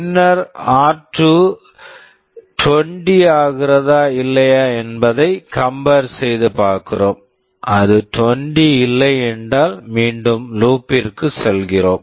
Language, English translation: Tamil, Then we are comparing whether r2 is becoming 20 or not, if it is not 20 then we go back to loop